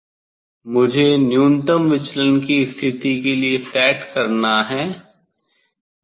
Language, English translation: Hindi, I have to set for minimum deviation position